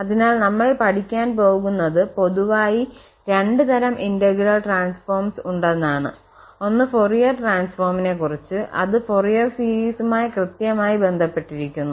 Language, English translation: Malayalam, So, that will be also studied and we will be talking about in general two types of integral transform 1 will be on Fourier transform, so that is exactly related to the Fourier series